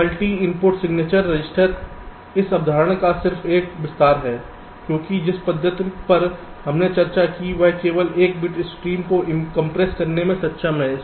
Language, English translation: Hindi, so multi input signature register is just an extension of this concept because, ah, the method that we have discussed is able to compress only a single bit stream